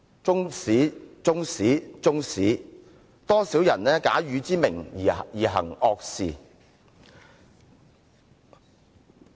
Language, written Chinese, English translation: Cantonese, 中史、中史、中史，多少人假汝之名而行惡事。, Chinese history Chinese history Chinese history―thy name is used by many to do evil